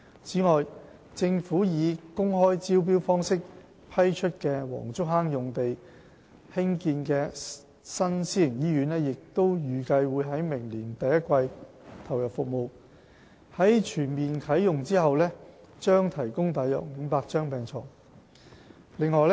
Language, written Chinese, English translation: Cantonese, 此外，政府以公開招標方式批出的黃竹坑用地上興建的新私營醫院，預計會在明年第一季投入服務，在全面啟用後將提供約500張病床。, A new private hospital to be developed at the Wong Chuk Hang site which was awarded through open tender by the Government is expected to come into operation in the first quarter of next year . It will provide about 500 beds upon full commissioning